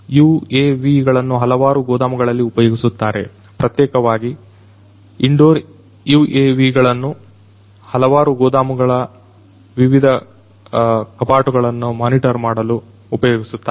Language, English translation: Kannada, UAVs are used in different warehouses, the indoor UAVs particularly are used in the different warehouses to monitor the different shelves, in those warehouses